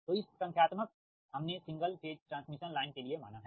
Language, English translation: Hindi, so this is this, this say numerical, we consider for the single phase transmission line